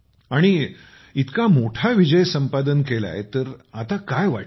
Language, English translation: Marathi, And having achieved such a big victory, what are you feeling